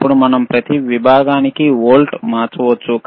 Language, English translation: Telugu, Now we can change the volts per division